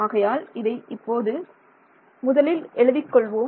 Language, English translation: Tamil, So, let me just write this